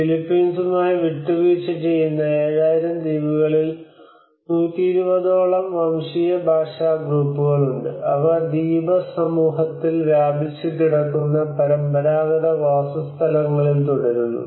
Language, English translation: Malayalam, So about 7,000 islands that compromise the Philippines there are over 120 ethnolinguistic groups that continue to inhabit traditional settlements spread out over the Archipelago